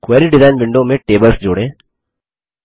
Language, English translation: Hindi, Add tables to the Query Design window Select fields